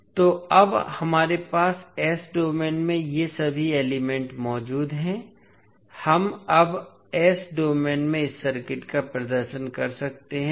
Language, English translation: Hindi, So now we have all these elements in s domain we can represent this circuit in s domain now